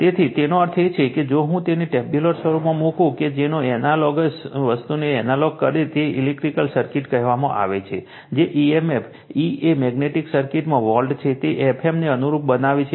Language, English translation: Gujarati, So, that means, if I put it in a tabular form that analogue the analogous thing, electrical circuits say emf, E is a volt in magnetic circuit, it analogies F m right